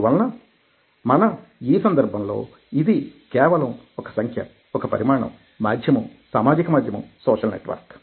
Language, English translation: Telugu, so in that context, here it is sheer number, size, media, social media, social network